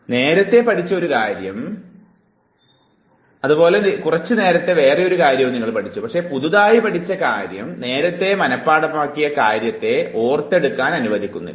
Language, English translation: Malayalam, So, I have learnt something in the past, I have learnt something very recently, and the newly learnt information does not allow me to recollect what I had already memorized in the past